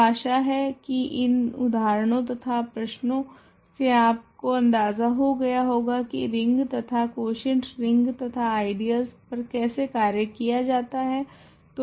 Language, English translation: Hindi, So, hopefully these examples and problems gave you some idea how to work with rings and quotient rings and ideals